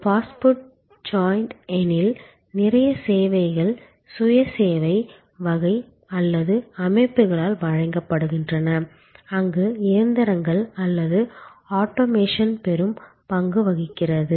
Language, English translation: Tamil, In case of say fast food joint, because a lot of the services there are either of the self service type or provided by systems, where machines or automation play a big part